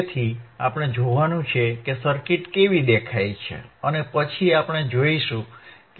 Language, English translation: Gujarati, So, we have to see we have to see how the circuit looks like and then we will see how it works ok